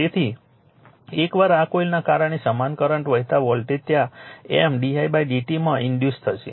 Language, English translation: Gujarati, So, once because of this coil same current is flowing voltage will be induced there in M into d i by d t